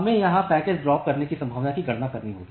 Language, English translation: Hindi, So, we have to calculate the packet dropping probability here